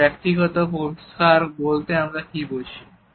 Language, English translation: Bengali, So, what do we mean by personal space